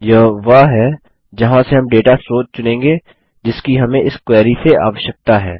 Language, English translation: Hindi, This is where we will select the source of the data that we need from this query